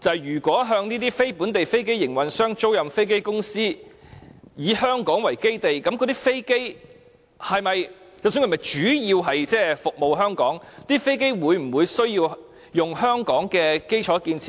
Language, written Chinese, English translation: Cantonese, 如果向"非香港飛機營運商"租賃飛機的公司，以香港為基地，無論那些飛機是否主要服務香港，會否同樣需要使用香港的基礎建設呢？, As those companies which lease aircraft to non - Hong Kong aircraft operators are based in Hong Kong will those aircraft use our infrastructure whether the aircraft serve Hong Kong primarily?